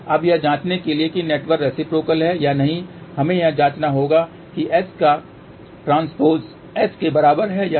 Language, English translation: Hindi, Now, to check whether the network is reciprocal or not we have to check whether S transpose is equal to S or not